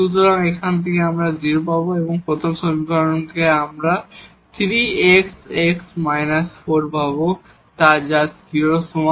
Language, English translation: Bengali, So, from here we will get y 0 and from the first equation we will get 3 times x and x minus 4, so is equal to 0